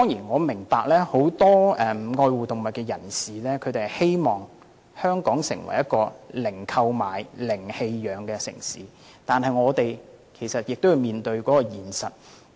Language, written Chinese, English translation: Cantonese, 我明白很多愛護動物人士希望香港成為一個零購買、零棄養的城市，但我們也要面對現實。, I understand that many animal lovers hope that Hong Kong can be a city with zero trading and zero abandonment of animals but we must face the reality